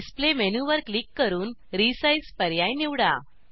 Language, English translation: Marathi, Click on Display menu and select Resize option